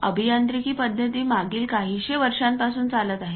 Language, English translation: Marathi, Engineering practices cover from past few hundred years